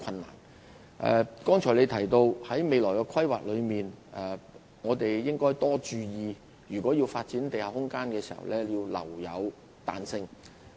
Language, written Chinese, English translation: Cantonese, 林議員剛才提到在進行未來規劃時，須注意就發展地下空間留有彈性。, Mr LAM opined just now that care should be taken in our future planning to allow flexibility for the development of underground space